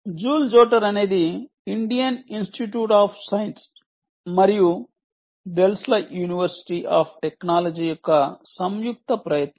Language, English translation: Telugu, by the way, joule jotter is a joint effort of the indian institute of science and the delft university of technology right